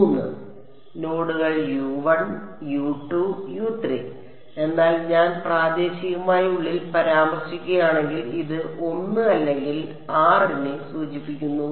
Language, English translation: Malayalam, Three nodes U 1 U 2 U 3, but if I am referring inside locally then this refers to l or r